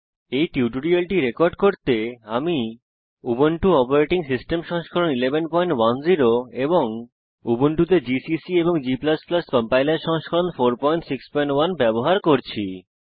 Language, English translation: Bengali, To record this tutorial, I am using, Ubuntu operating system version 11.10 gcc and g++ Compiler version 4.6.1 on Ubuntu